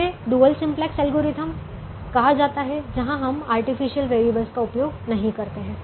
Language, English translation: Hindi, it's called the dual simplex algorithm, where we do not use artificial variables